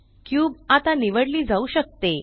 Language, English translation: Marathi, The cube can now be selected